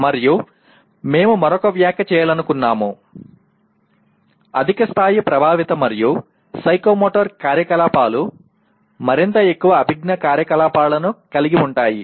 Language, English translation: Telugu, And another comment that we would like to make, higher levels of affective and psychomotor activities involve more and more cognitive activities